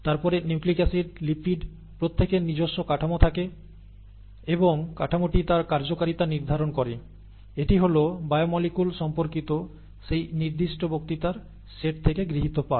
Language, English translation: Bengali, Then nucleic acids, lipids and each one has their own structure and the structure determines its function and so on and so forth; that was the major take home lesson from that particular set of lectures on biomolecules